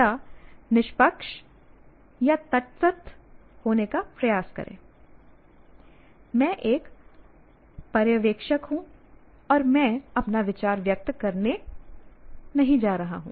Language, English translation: Hindi, Or sometimes try to be impartial, neutral, okay, I am an observer, I am not going to express my view